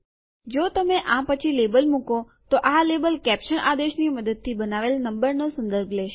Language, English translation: Gujarati, If you put the label after this, this label will refer to the number created using the caption command